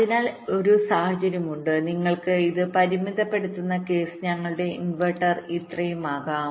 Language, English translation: Malayalam, ok, so there are situations and the limiting case you can have this will be our inverter delay this much